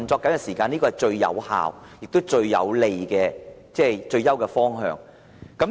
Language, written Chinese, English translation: Cantonese, 這是最有效、最有利及最佳的方向。, This is the most effective desirable and best direction